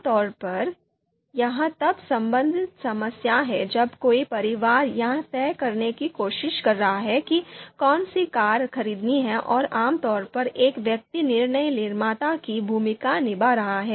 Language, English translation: Hindi, Typically, this is problem related to you know you know you know family where the family is trying to decide which car to pick and typically one person is playing the role of a decision maker